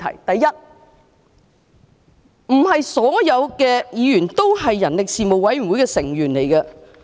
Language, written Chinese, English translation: Cantonese, 第一，不是所有議員都是人力事務委員會的委員。, First not all Members are members of the Panel on Manpower